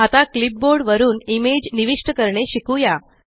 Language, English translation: Marathi, Next we will learn how to insert image from a clipboard